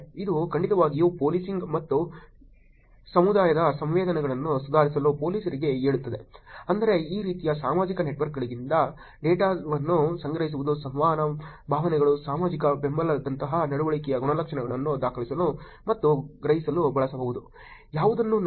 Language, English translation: Kannada, One it definitely tells police improve policing and community sensing, which is to collect data from these kind of social networks can be used to record and sense behavioral attributes, such as engagement, emotions, social support